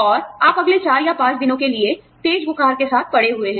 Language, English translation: Hindi, And, you are down with high fever, for the next 4 or 5 days